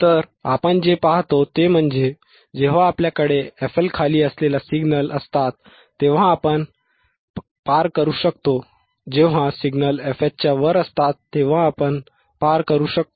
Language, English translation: Marathi, So, what we see is, when we have signals which are below f L, we cannot we can pass, when the signals are above f H we can pass